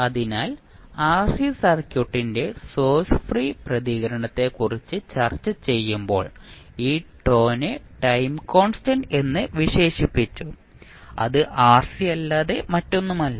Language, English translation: Malayalam, So, when you discussing about the source free response of rc circuit we termed this tau as time constant which was nothing but equal to rc